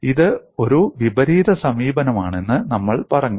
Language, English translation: Malayalam, So, we do it in a reverse fashion